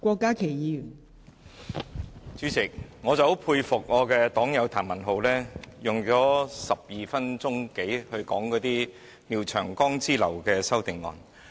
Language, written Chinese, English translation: Cantonese, 代理主席，我很佩服我的黨友譚文豪議員，他花了12多分鐘說廖長江議員之流的修正案。, Deputy President I really have to take my hat off to my fellow party member Mr Jeremy TAM who has spent 12 - odd minutes on the amendments from people like Mr Martin LIAO